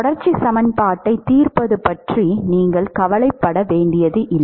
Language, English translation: Tamil, You do not have to worry about solving the continuity equation